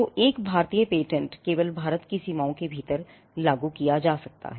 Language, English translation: Hindi, So, an Indian patent can only be enforced within the boundaries of India